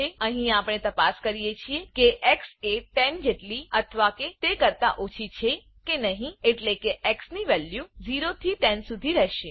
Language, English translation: Gujarati, Here we check whether x is less than or equal to 10 which means the values of x will be from 0 to 10 Then we add y plus x (i.e) 0 plus 0 we get 0